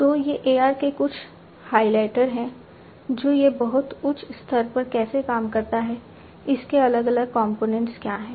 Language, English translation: Hindi, So, these are some of the highlights of AR and how it works at a very high level, what are the different components of it